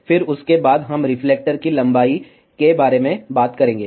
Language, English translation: Hindi, Then after that, we will talk about reflector length